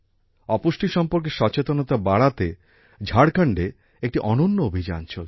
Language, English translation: Bengali, A unique campaign is also going on in Jharkhand to increase awareness about malnutrition